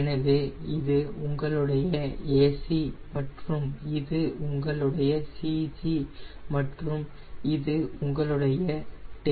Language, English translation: Tamil, so this is your ac, this is your cg and this is your tail